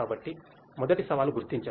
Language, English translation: Telugu, So, first challenge is the detection